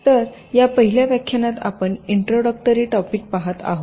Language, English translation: Marathi, so this first lecture you shall be looking at some of the introductory topics